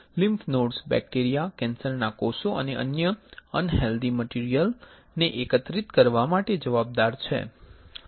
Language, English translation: Gujarati, The lymph nodes are responsible for collecting bacteria, cancer cells and other unhealthy material